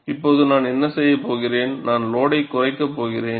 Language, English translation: Tamil, Now, what I am going to do is, I am going to reduce the load